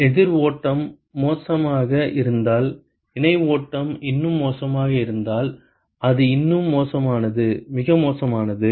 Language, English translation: Tamil, If counter flow is worse parallel flow is even worse it is more worse, worser